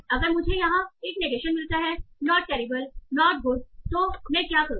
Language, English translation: Hindi, If I get a negation here, not terrible, not good